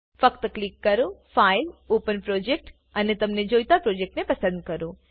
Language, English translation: Gujarati, Just click on File gt Open Project and choose the project you want to open